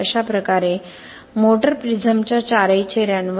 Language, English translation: Marathi, So similarly on the all four faces of the motor prism